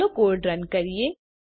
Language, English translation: Gujarati, Let us run the code